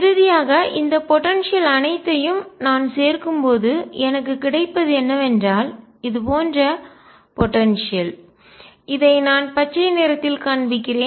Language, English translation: Tamil, Finally, when I add all these potentials what I get is the potential like I am showing in green out here like this